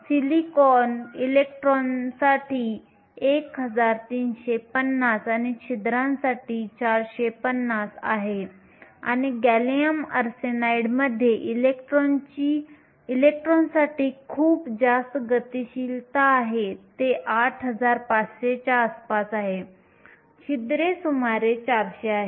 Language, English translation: Marathi, Silicon is 1350 for the electrons and 450 for the holes and gallium arsenide has a very high mobility for electrons, it is around 8500, holes is around 400